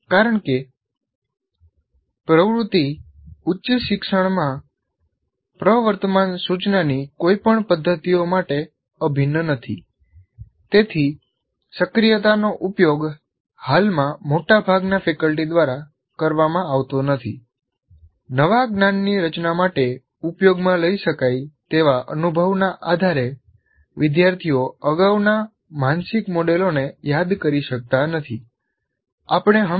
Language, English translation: Gujarati, So learners, because that activity is not integral to any of the present practices of instruction in higher education, as activating is not used by majority of the faculty at present, learners lack or may not recall previous mental models based on experience that can be used to structure the new knowledge